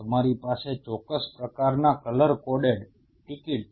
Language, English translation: Gujarati, You have a specific kind of color coded tickets